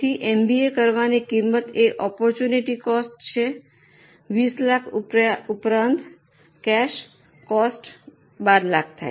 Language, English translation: Gujarati, So cost of doing MBA is opportunity cost of 20 lakhs plus cash cost of 12 lakhs